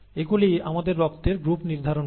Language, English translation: Bengali, These determine the blood group as for us